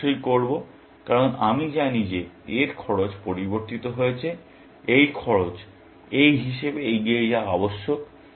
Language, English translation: Bengali, I must, because I know that the cost of this has changed; this cost must be propagated to this, as well